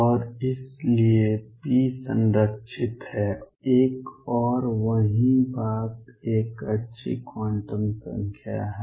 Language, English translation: Hindi, And therefore, p is conserved one and the same thing is a good quantum number